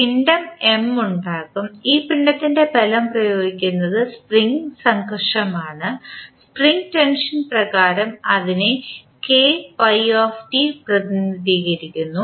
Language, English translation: Malayalam, There will be mass M, the force is applied on this mass will be one that is the spring friction, spring tension rather we should say